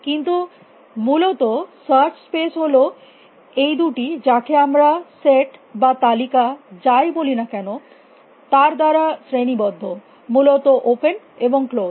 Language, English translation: Bengali, But basically the search space is the search tree is characterized by these two let us call it as set or lists whatever, open and close essentially